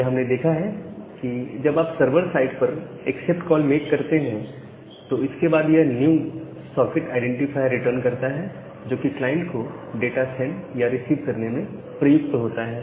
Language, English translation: Hindi, So, we have seen that after you are making an accept call at the server site, it returns a new socket identifier, which is used to send or receive data to the client